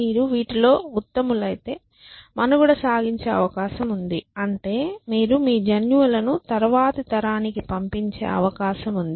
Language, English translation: Telugu, So, if you are good at doing these things then you are likely to survive which means you are likely to pass on your genes to the next generation and so on and so forth